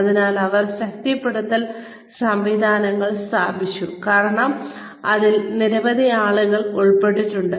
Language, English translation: Malayalam, So, they put reinforcement systems in place, because many people are involved